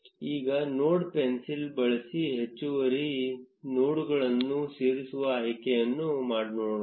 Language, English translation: Kannada, Now let us look at the option to add additional nodes using the node pencil